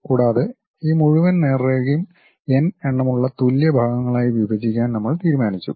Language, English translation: Malayalam, And, we have decided divide these entire straight line into n number of equal parts